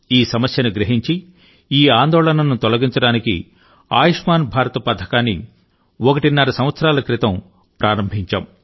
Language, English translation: Telugu, Realizing this distress, the 'Ayushman Bharat' scheme was launched about one and a half years ago to ameliorate this constant worry